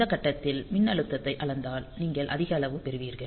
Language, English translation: Tamil, So, if you measure the voltage at these point, so you will get high